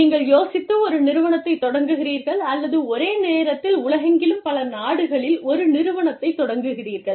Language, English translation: Tamil, So, you start an organization, with the idea, or, you start an organization, in several countries, across the world, simultaneously